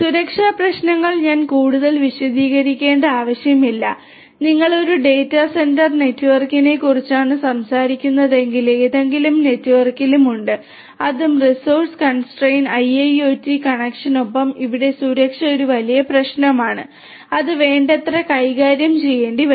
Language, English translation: Malayalam, Security issues I do not need to elaborate further security issues are there in any network if you are talking about a data centre network and that too with resource constrain IIoT connections here security is a huge issue and will have to be dealt with adequately